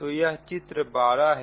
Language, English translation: Hindi, so this is figure twelve